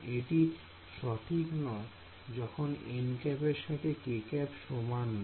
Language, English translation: Bengali, So, not correct when this n hat is not equal to k hat